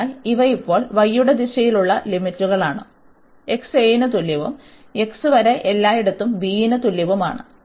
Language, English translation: Malayalam, So, these are the limits now in the direction of y and then such lines they goes from here x is equal to a to and everywhere up to x is equal to b